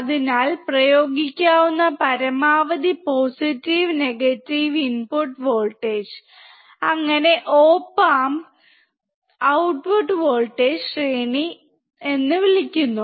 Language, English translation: Malayalam, So, the maximum positive and negative input voltage that can be applied so that op amp gives undistorted output is called input voltage range of the op amp